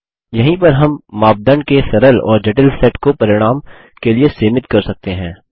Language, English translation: Hindi, This is where we can limit the result set to a simple or complex set of criteria